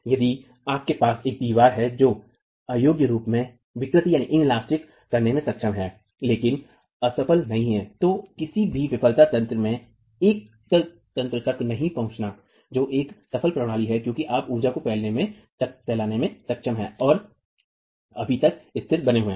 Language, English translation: Hindi, If you have a wall that is capable of deforming inelastically but not failing, not reaching any failure mechanism, that is a successful system because you are able to dissipate energy and yet remain stable for